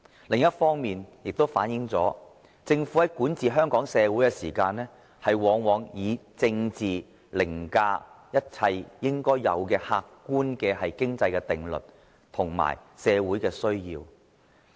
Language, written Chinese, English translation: Cantonese, 另一方面，這亦反映了政府對香港社會管治中，往往以政治凌駕一切應該有的客觀經濟定律及社會需要。, Conversely it was also reflected in his governance in Hong Kong that politics would prevail over all objective rules of economy and social needs